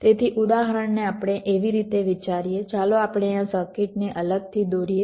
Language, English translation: Gujarati, so we consider an example like: let us just draw this circuit separately